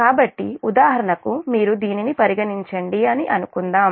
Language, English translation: Telugu, so, for example, suppose you consider this one as just